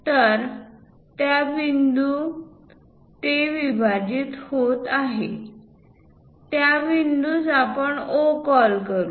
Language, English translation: Marathi, So, the point where it is intersecting dissecting that point let us call O